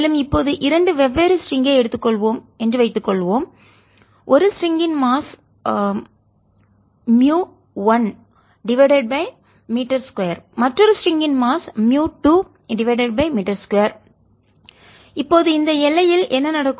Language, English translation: Tamil, and suppose we take two different strings, one of mass mu, one per meter square, other one of a slightly different mass mu, two per metre square